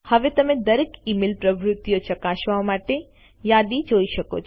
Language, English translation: Gujarati, You can now view the list to check all email activity